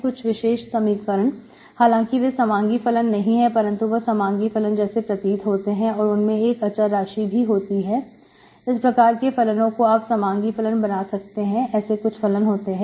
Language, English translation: Hindi, Certain equations, though they are not homogeneous functions but they are, they, they look like homogeneous functions but with constants, so you can actually make them homogeneous, certain functions, okay